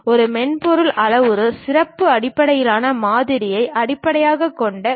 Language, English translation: Tamil, And this software is basically based on parametric featured based model